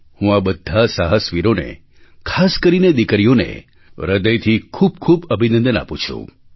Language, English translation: Gujarati, I congratulate these daredevils, especially the daughters from the core of my heart